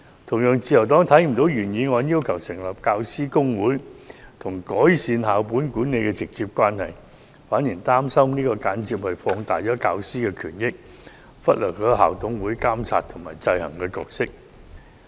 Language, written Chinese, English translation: Cantonese, 同樣地，自由黨看不到，原議案要求成立教師公會與改善校本管理之間有否直接關係，而且擔心這樣做會間接放大教師權益，忽略校董會的監察制衡角色。, Similarly the Liberal Party cannot figure out whether there is direct relationship between the original motions proposal on establishing a professional General Teaching Council and improving school - based management and we are also worried that this may indirectly amplify the interests of teachers and ignore the roles of SMCs in monitoring and exercising checks and balances